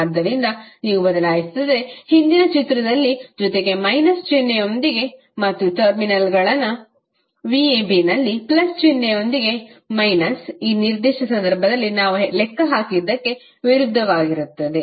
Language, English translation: Kannada, So, you can simply say, if you replace in the previous figure plus with minus sign minus with plus sign v ab will be opposite of what we have calculated in this particular case